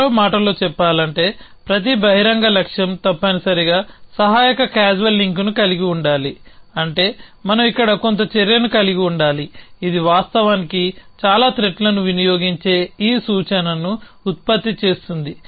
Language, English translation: Telugu, While in other words every open goal must have a supporting causal link which means we must have some action here which produces this predicate which is consumed were this actually so threats